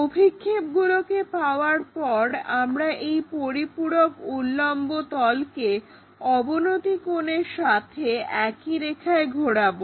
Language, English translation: Bengali, Once we take these projections we flip this auxiliary vertical plane in line with this inclination angle